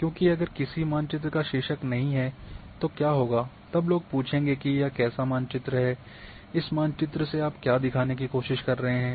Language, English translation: Hindi, Because if a map doesn’t carry a map, then it does not have the title then what would happen then people will ask what is this map what is what your trying to show